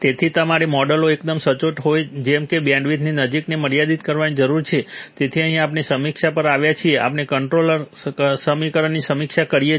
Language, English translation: Gujarati, So you need to limit the close to bandwidth such that the models are fairly accurate, so here we have come to the review, we have reviewed controller implementation